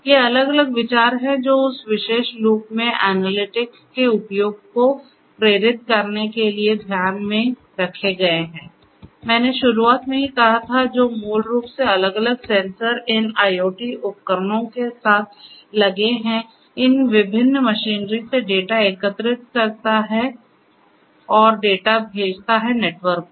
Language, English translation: Hindi, These are the different considerations that are taken into these are the ones that are taken into consideration in order to motivate the use of analytics in that particular loop which I stated at the very beginning which basically collects the data from these different machinery fitted with different sensors, these IoT devices and send the data over the network